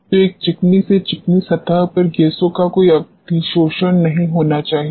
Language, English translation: Hindi, So, on a smooth to smooth surface there should not be any adsorption of gases